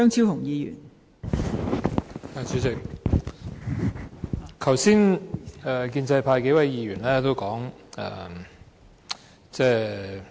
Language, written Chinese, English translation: Cantonese, 代理主席，剛才建制派數位議員先後發言。, Deputy Chairman just now several Members from the pro - establishment camp spoke one after another